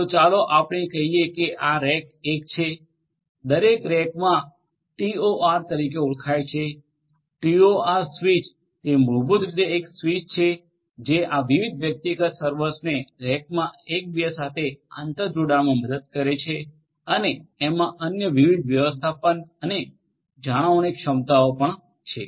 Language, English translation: Gujarati, So, let us say that this is rack 1 every rack has something known as a TOR, TOR switch it is basically a switch which will help these different individual servers in a rack to be interconnected together and also it has different other management and maintenance capabilities